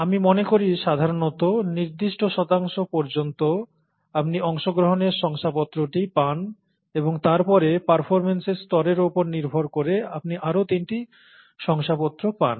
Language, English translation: Bengali, I think it's typically, till about a certain percentage, you get the participation certificate and then you get three other certificates depending on the level of performance